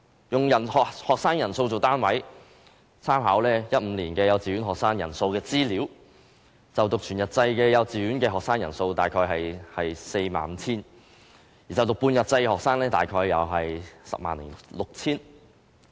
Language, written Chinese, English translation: Cantonese, 以學生人數為單位，參考2015年幼稚園學生人數的資料，就讀全日制幼稚園的學生人數約 45,000 人；就讀半日制的學生約 106,000 人。, In terms of the number of students according to the information in 2015 there are about 45 000 whole - day kindergarten students and about 106 000 half - day kindergarten students